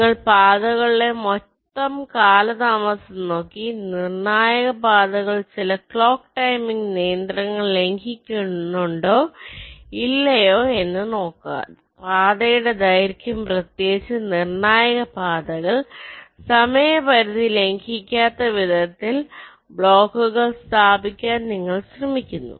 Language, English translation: Malayalam, you look at the total delays along the paths and see whether the critical paths are violating some clock timing constraints or not and you try to place the blocks in such a manner that the path lengths, particularly the critical paths